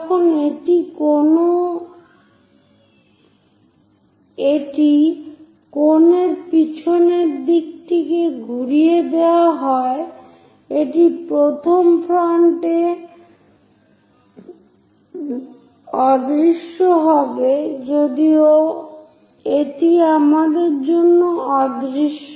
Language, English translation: Bengali, While it is winding the backside of the cone, it will be invisible at first front though it is there it is invisible for us